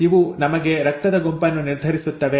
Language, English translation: Kannada, These determine the blood group as for us